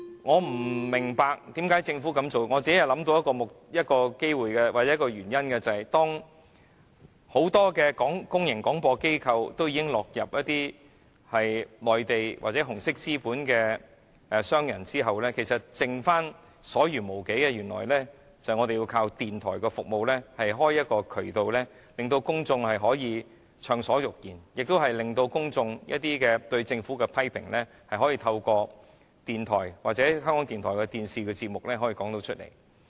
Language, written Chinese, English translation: Cantonese, 我不明白政府為甚麼要這樣做，我只是想到一個原因，便是在很多公共廣播機構已經落入內地或紅色資本商人手中後，其實餘下來我們便須依靠電台的服務，才能打開渠道，讓公眾暢所欲言，亦讓公眾對政府的批評可以透過電台或港台的電視節目表達出來。, I do not understand why the Government chooses to do so . I can only think of one reason that is after many public broadcasting corporations have fallen into the hands of Mainland or red capitalists in fact the only thing that we can rely on to keep the channels for free speech of the public is radio services and through radio programmes or RTHKs television programmes the public can voice their criticisms of the Government